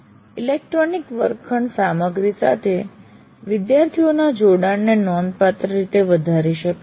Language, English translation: Gujarati, Electronic classroom can significantly enhance the engagement of the students with the material